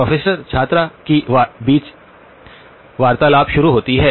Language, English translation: Hindi, “Professor student conversation starts